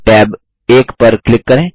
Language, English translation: Hindi, Click on tab 2